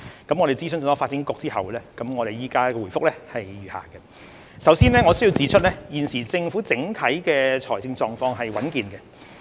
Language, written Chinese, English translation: Cantonese, 經諮詢發展局後，我現回覆如下：首先，我須指出，現時政府整體財政狀況是穩健的。, Having consulted the Development Bureau DEVB my reply is as follows Firstly I would like to point out that our overall fiscal position is currently sound and healthy